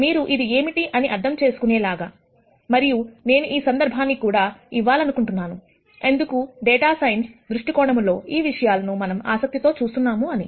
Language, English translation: Telugu, So that you understand what this means and I also want to give a context, in terms of why these are some things that we are interested in looking at from a data science viewpoint